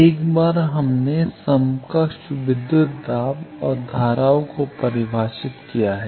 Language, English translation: Hindi, Once we have defined equivalent voltages and currents